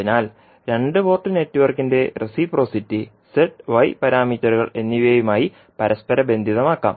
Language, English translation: Malayalam, So, you can correlate the reciprocity of the two port network with respect to Z as well as y parameters